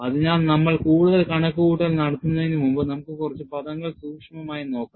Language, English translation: Malayalam, So, before we do the calculation further, let us look at the terms a little more closely